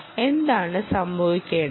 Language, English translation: Malayalam, what should happen